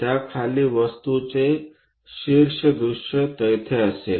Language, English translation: Marathi, Just below that a top view of the object will be there